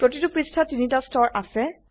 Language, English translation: Assamese, There are three layers in each page